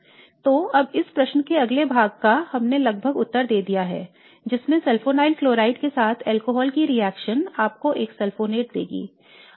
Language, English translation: Hindi, So now first part of the question we have sort of answered in that the reaction of the alcohol with a sulfonyl chloride would give you a sulfonate